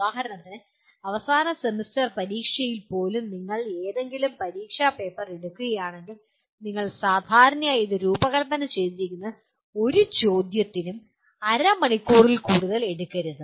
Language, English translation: Malayalam, For example if you take any examination paper even in the end semester examination, you normally, it is designed in such a way no question should take more than half an hour